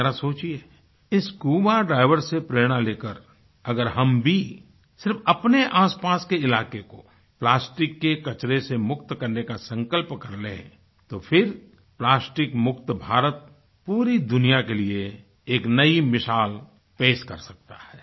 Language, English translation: Hindi, Pondering over, taking inspiration from these scuba divers, if we too, take a pledge to rid our surroundings of plastic waste, "Plastic Free India" can become a new example for the whole world